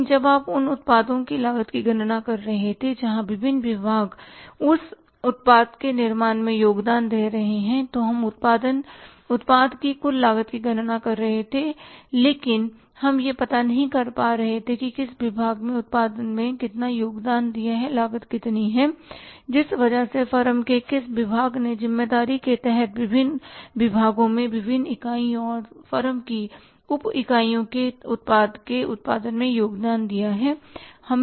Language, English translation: Hindi, But when you were calculating the cost of the products where different departments were contributing in manufacturing that product, we were calculating the total cost of the product but we were not able to find out which department has contributed how much into the production and how much is the cost because of the which department of the firm